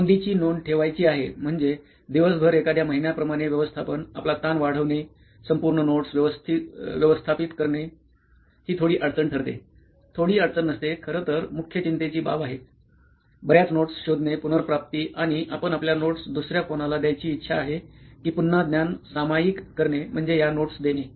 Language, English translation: Marathi, And imagine if somebody has to maintain notes over notes, so throughout the day is like from the months the volume will increase, the management, the overall managing the notes it becomes a bit of a difficulty, is not a bit of a difficulty, it is actually major concern, too many notes so searching, retrieval and you want to give your notes to someone else it is again knowledge sharing the problem would giving these notes is again a knowledge sharing thing